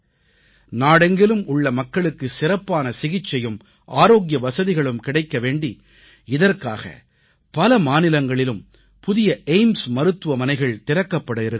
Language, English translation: Tamil, New AIIMS are being opened in various states with a view to providing better treatment and health facilities to people across the country